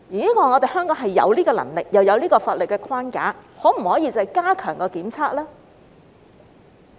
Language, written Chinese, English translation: Cantonese, 香港有這樣的能力，亦有法律框架，可否加強檢測呢？, Hong Kong has both the capacity and the legal framework . Can testing be enhanced?